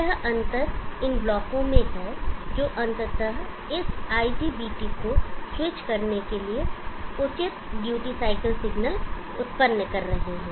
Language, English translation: Hindi, The difference here is in these blocks which are ultimately generating the proper duty cycle signal for switching this IGPT